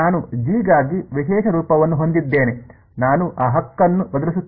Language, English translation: Kannada, I have a special form for G I will just substitute that right